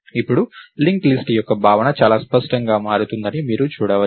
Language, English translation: Telugu, So, now, you can see that the notion of a linked list becomes much cleaner, right